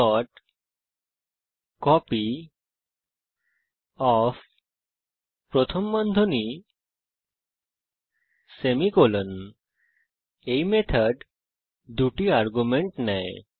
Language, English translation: Bengali, copyOf(marks, 5) This method takes two arguments